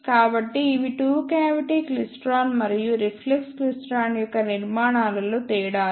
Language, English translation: Telugu, Now, what is the difference in the structures of two cavity klystron and reflex klystron